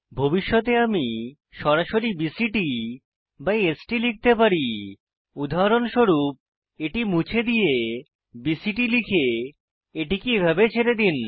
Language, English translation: Bengali, In the future i can type BCT and ST directly for e.g we delete this and type BCT leave this as it is